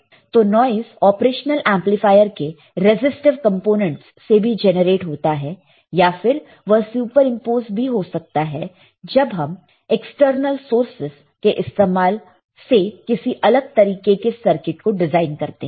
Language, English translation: Hindi, So, the noise can be generated with the help by resistive components in the operational amplifier or it can be superimposed when you design the of different kind of circuit using external sources